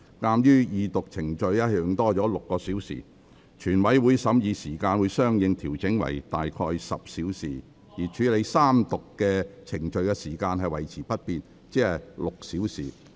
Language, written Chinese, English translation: Cantonese, 鑒於二讀程序多用了6小時，全委會審議時間會相應調整為約10小時，而處理三讀程序的時間維持不變，即6小時。, Given that an additional six hours have been spent on the Second Reading procedure the time for consideration by committee of the whole Council will be correspondingly adjusted to about 10 hours and the time for dealing with the Third Reading procedure will remain unchanged ie . six hours